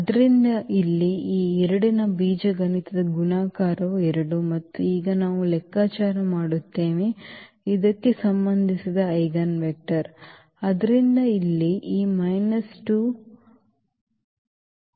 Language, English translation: Kannada, So, here the algebraic multiplicity of this 2 is 2 and now we compute the eigenvector corresponding to this